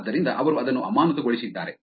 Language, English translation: Kannada, Therefore, they suspended it